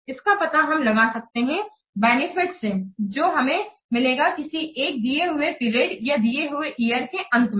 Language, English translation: Hindi, This is determined by the value of the benefits which may be obtained at the end of a given period or the given year